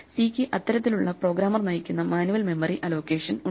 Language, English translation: Malayalam, So, C has this kind of programmer driven manual memory allocation